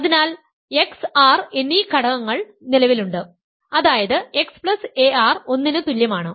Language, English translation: Malayalam, So, there exists elements x and r such that x plus ar is equal to one